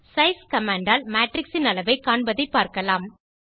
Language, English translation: Tamil, We will now see how to find the size of a Matrix using the size command